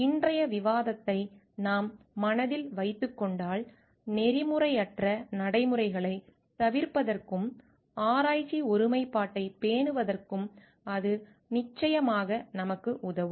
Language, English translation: Tamil, And if we keep in mind the discussion of today then, it is definitely going to help us to avoid unethical practices and maintain the research integrity